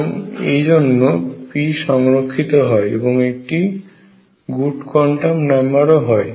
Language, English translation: Bengali, And therefore, p is conserved one and the same thing is a good quantum number